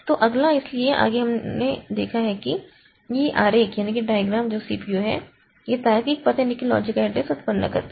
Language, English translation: Hindi, So, next we'll see that this diagram that is the CPU generates the logical address